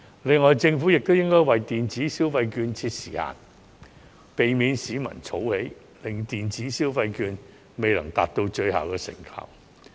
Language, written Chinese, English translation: Cantonese, 另外，政府亦應為電子消費券設定時限，避免市民儲存電子消費券，以致未能達到最大的成效。, In addition the Government should also set a validity period to prevent the public from saving the vouchers for future use thereby maximizing the effects